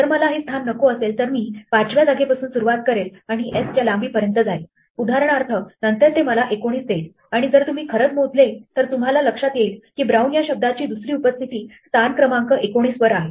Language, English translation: Marathi, If on the other hand I do not want this position, but I wanted to say starting from position 5 and going to length of s for example, then it will say 19 and if you count you will find that the second occurrence of brown is at position 19